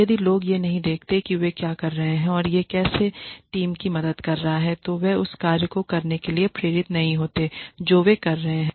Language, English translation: Hindi, If people do not see the link between what they are doing and how it is helping the team, then they are not so motivated to keep doing the work that they are doing